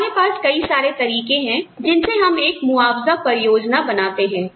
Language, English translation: Hindi, We have various ways, in which, we develop a compensation plan